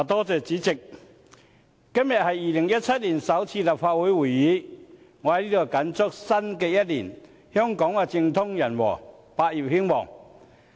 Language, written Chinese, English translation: Cantonese, 主席，今天是2017年首次立法會會議，我在此謹祝香港在新一年政通人和，百業興旺。, President today is the first Legislative Council meeting in 2017 so may I take this opportunity to wish Hong Kong efficiency in the Government harmony in society and prosperity in all sectors in the new year